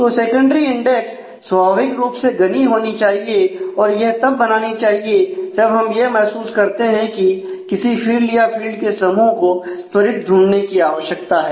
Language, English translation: Hindi, So, secondary index naturally has to be dense and is created when we want we feel that there is a need to quickly search on that field or that set of fields and we will discuss more about those issues later on